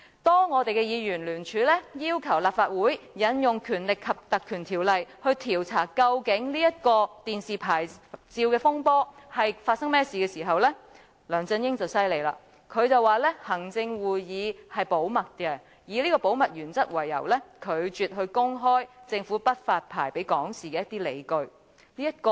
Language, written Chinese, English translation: Cantonese, 當議員聯署要求立法會引用《立法會條例》來調查究竟電視牌照的風波發生甚麼事，梁振英便厲害了，他說行會的決定是保密的，以保密原則為由，拒絕公開政府不發牌予港視的理據。, When Members jointly signed to request the Legislative Council to apply the Legislative Council Ordinance to investigate what had happened in the dispute in issuance of television licence LEUNG Chun - ying is mighty then . He said that the decision of the Executive Council was confidential and refused to make public the rationale for the Government to reject the issuance of licence based on the reason of confidentiality principle